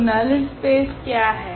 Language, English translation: Hindi, So, what is in the null space